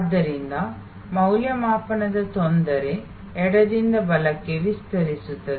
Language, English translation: Kannada, So, the difficulty of evaluation extends from left to right